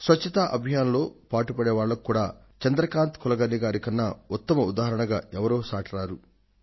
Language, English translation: Telugu, And for the people who are associated with the Cleanliness Campaign also, there could be no better inspiring example than Chandrakant Kulkarni